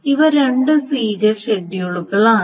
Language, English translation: Malayalam, So these are the two serial schedules